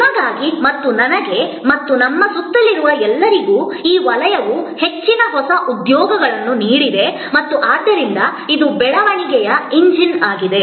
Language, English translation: Kannada, Also very important for you and for me and for all of us around, that this sector has contributed most new employments and therefore this is a growth engine